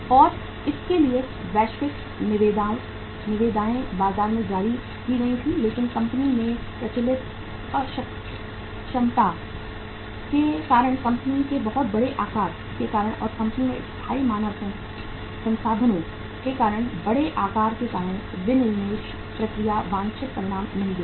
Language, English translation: Hindi, And for that global tenders were issued in the market but because of the very large size of the company because of prevailing inefficiency in the company and because of very large size of the permanent human resources in the company the disinvestment process could not deliver the desired results